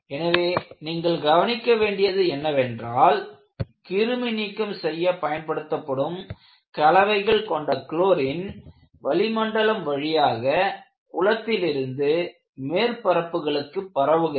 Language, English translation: Tamil, So, what you will have to look at is, the chlorine containing compounds, which are used for disinfection, may transfer via the pool atmosphere to surfaces remote from the pool itself